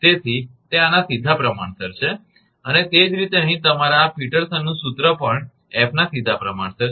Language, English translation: Gujarati, So, it is directly proportional to this and similarly your this Peterson’s formula here also directly proportional to f